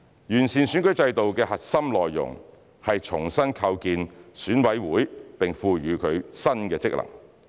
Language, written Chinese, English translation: Cantonese, 完善選舉制度的核心內容是重新構建選委會並賦予它新的職能。, The core content of the proposal on improving the electoral system is to reconstitute EC and endow it with new functions